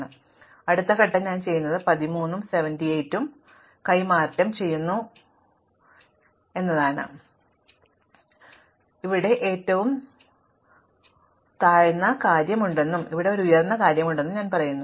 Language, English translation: Malayalam, So, at the next step what I do is, I exchange the 13 and 78 and no I say that I have the lower thing up to here and I have an upper thing up to here